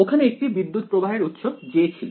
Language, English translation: Bengali, There was a current source J over here